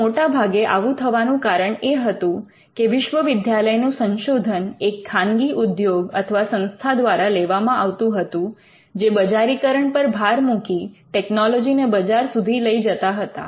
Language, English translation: Gujarati, Now, most of the time this happened because the university research was taken by a private player corporation or an institution which was insisted in commercializing it and took the technology to the market